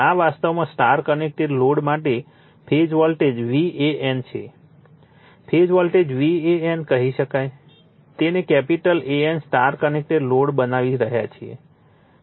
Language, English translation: Gujarati, For star connected load, the phase voltages are this is actually v AN, we can say phase voltage v AN, we are making it capital AN right star connected load